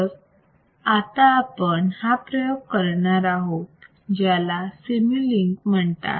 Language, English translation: Marathi, So, we will do this experiment also is called Simulink